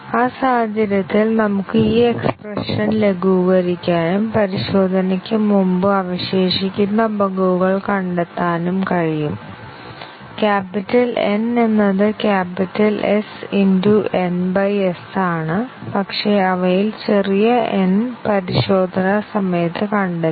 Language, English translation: Malayalam, We can simplify this expression in that case and find the bugs that were remaining before testing; capital N is capital S n by s; but then, small n of them have got detected during testing